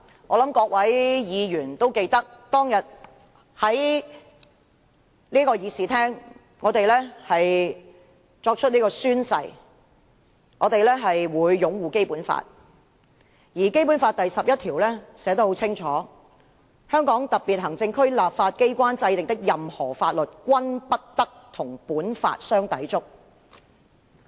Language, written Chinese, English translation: Cantonese, 我相信各位議員都記得，當天我們在議事廳內宣誓，我們會擁護《基本法》，而《基本法》第十一條寫得很清楚，"香港特別行政區立法機關制定的任何法律，均不得同本法相抵觸"。, I believe Members will remember that when we took the Oath in this Chamber we swore that we would uphold the Basic Law . Article 11 of the Basic Law clearly provides that [n]o law enacted by the legislature of the Hong Kong Special Administrative Region shall contravene this Law